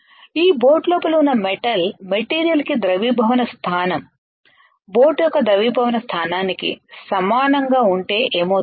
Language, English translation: Telugu, But what if the material inside this boat has a melting point has a melting point of metal similar to the melting point of boat